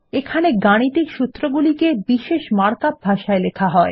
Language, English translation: Bengali, Here we can type the mathematical formulae in a special markup language